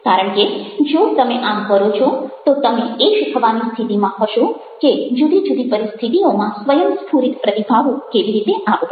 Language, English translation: Gujarati, because if you do that, you will be a in a position to learn how to spontaneously respond in different situations